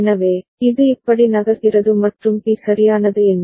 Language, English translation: Tamil, So, it is moving like this ok and what about B right